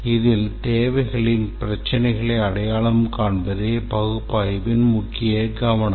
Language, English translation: Tamil, The main focus of analysis is to identify the requirements problems